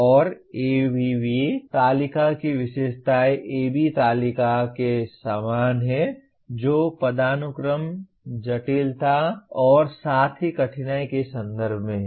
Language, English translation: Hindi, And the features of ABV table are the same as those of AB table that is in terms of hierarchy, complexity as well as difficulty